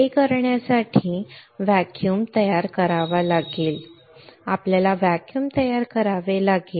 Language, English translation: Marathi, To do that we have to create a vacuum we have to create a vacuum alright